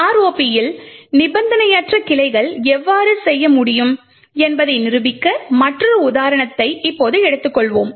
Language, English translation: Tamil, Now let us take another example where we demonstrate how unconditional branching can be done in ROP